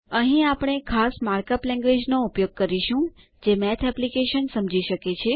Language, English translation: Gujarati, Here we will use a special mark up language that the Math application can understand